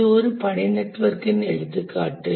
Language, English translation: Tamil, This is an example of a task network